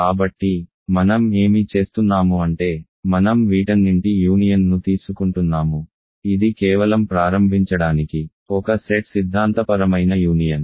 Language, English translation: Telugu, So, what I am doing is, I am taking the union of all of these, just a set theoretic union to begin with